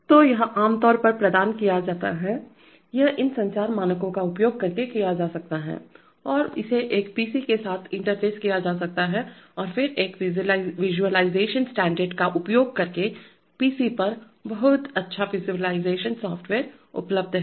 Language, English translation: Hindi, So this is usually provided, this can be done using these communication standards and interfacing it with a PC and then using a visualization standard, visualization software there are very good visualization software is available on the PCs